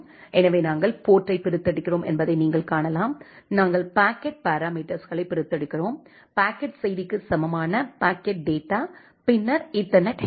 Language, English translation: Tamil, So, you can see that we are extracting the port; we are extracting the packet parameters, the packet equal to packet message the data then the ethernet header